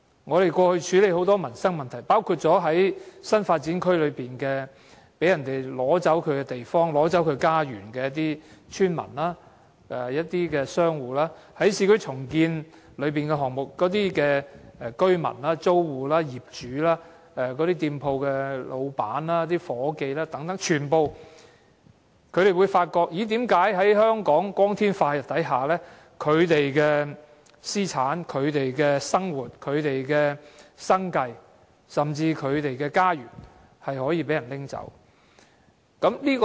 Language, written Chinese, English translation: Cantonese, 我們過去處理很多民生問題，包括在新發展區內被奪走地方和家園的村民和商戶，在市區重建項目中的居民、租戶、業主、店鋪老闆和夥計等，全部都發現為何在香港光天化日之下，他們的私產、生活、生計甚至是家園都可被人拿走。, We have handled many livelihood issues in the past including villagers and business operators whose land or home in some new development areas was taken away; and in some other cases residents tenants property owners shop operators and their staff members became victims of urban renewal projects . They all concur that their assets daily lives means of living or even their home have been taken away in broad daylight